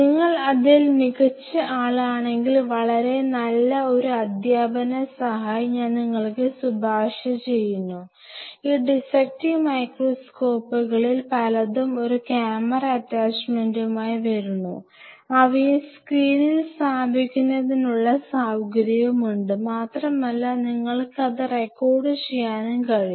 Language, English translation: Malayalam, And if you are really good in that, then I would recommend you something which is a very good teaching aid, is that many of these dissecting microscopes comes with an attachment to put a camera which could be put on a screen and you can record it